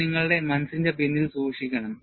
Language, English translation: Malayalam, And, this also you have to keep it at the back of your mind